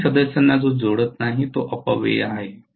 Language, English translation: Marathi, Whichever does not link both the member that is a waste